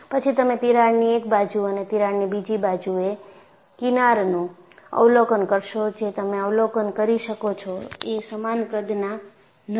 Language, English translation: Gujarati, Then you will observe the fringes on one side of the crack and other side of the crack, are not of same size, which you could observe